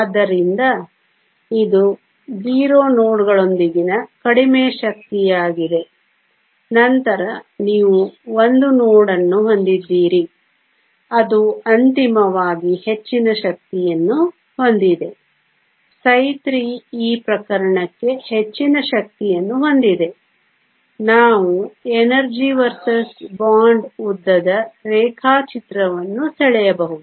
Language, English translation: Kannada, So, this is the lowest energy with 0 nodes then you have 1 node which is a higher energy finally, psi 3 that has the highest energy for this case also we can draw an energy versus bond length diagram